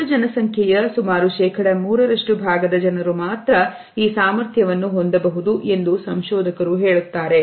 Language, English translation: Kannada, Researchers tell us that only about 3% of the population can have this capability